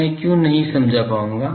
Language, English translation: Hindi, Why I will not be able to explain